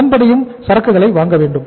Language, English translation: Tamil, Accordingly you have to acquire the inventory